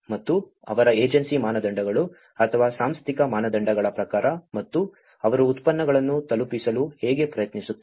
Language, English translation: Kannada, And as per their agency standards or the institutional standards and that is how they try to deliver the products